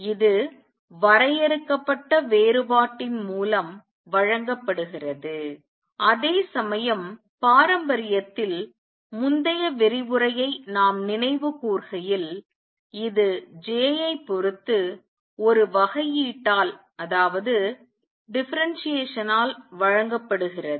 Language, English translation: Tamil, This is given by finite difference, right where as we recall the previous lecture in classically, it is given by a differentiation with respect to j